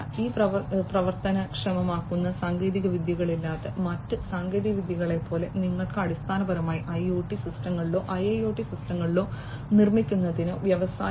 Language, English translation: Malayalam, Without these enabling technologies, like the other technologies you are the technologies you could you know you cannot basically survive to build IoT systems, IIoT systems or to achieve the vision of Industry 4